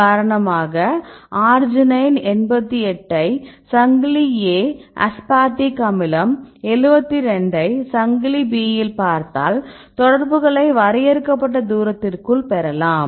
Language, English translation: Tamil, For example if you see this 88 arginine 88 here, this is the chain A right and here this is the aspartic acid 72 right in chain B we get the contacts right